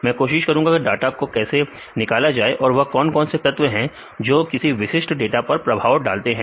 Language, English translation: Hindi, I will try how we generate this data and what are the factors which influence to get that specific data